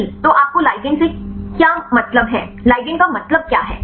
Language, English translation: Hindi, So, what do you mean by ligand what is the meaning of ligand